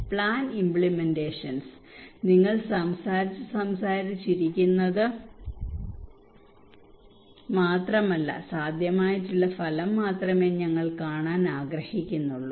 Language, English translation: Malayalam, Plan implementations; not only that you were talking and talking and talking but we want only see some feasible outcome